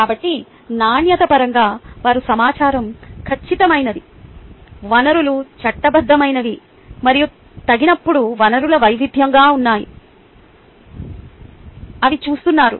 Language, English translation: Telugu, so in terms of quality, they are looking whether the information is accurate, resources are legitimate and resources are varied when appropriate